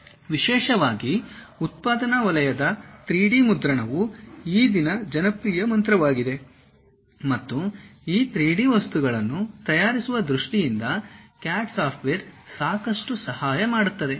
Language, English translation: Kannada, Especially, these days in manufacturing sector 3D printing is a popular mantra and CAD software helps a lot in terms of preparing these 3D materials